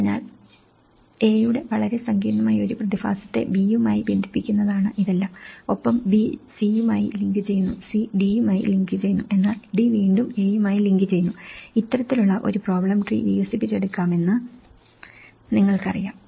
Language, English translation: Malayalam, So, it’s all about a very complex phenomenon of A is linking to B and B is linking to C, C is linking to D but D is again linking to A, you know this kind of problem tree could be developed